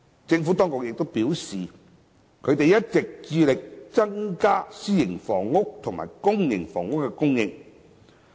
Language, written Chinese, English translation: Cantonese, 政府當局表示，一直致力增加私營房屋及公營房屋的供應。, The Administration has advised that it has been striving to enhance the supply of private and public housing